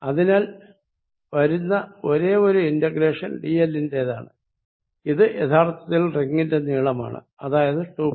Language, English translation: Malayalam, So, only integration comes over dl and integration dl is really the length of the ring which is 2 pi R